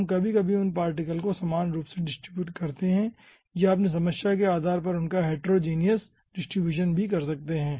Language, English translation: Hindi, we give those particles as uniformly distributed, or you can give some heterogeneous distribution also, depending on your problem